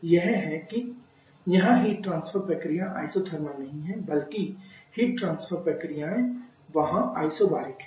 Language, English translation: Hindi, One is, here the heat transfer processes are not isothermal rather heat transfer process there Isobaric